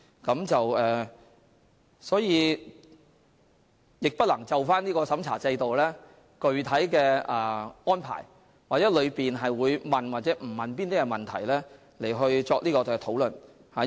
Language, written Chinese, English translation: Cantonese, 因此，我不能就深入審查制度的具體安排或過程中會否詢問某些問題作出評論。, Therefore I am not in a position to make comments regarding the specific arrangements of the extended checking system or whether certain questions will be asked in the process